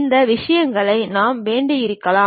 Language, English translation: Tamil, These things may have to be changed